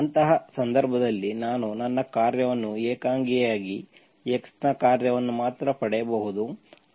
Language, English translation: Kannada, In such a case I can get my function mu as function of alone, only function of x alone